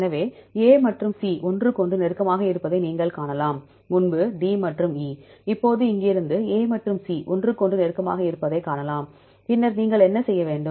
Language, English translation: Tamil, So, you can see A and C are close to each other, earlier we did this D this E, now from here we can see A and C are close to each other, then what next what you have to do